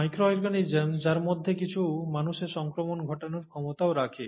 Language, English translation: Bengali, The micro organisms, some of which have the capability to cause infection in humans